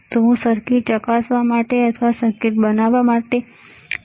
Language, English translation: Gujarati, And I want to create a circuit to test the circuit